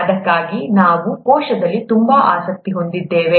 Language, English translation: Kannada, That's why we are so interested in the cell